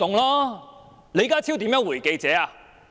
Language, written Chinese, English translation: Cantonese, 李家超如何回應記者？, How did John LEE respond to the question of the reporter?